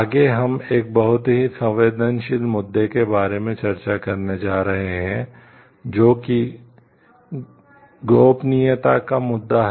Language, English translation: Hindi, Next, we are going to discuss about a very sensitive issue, which is the issue of privacy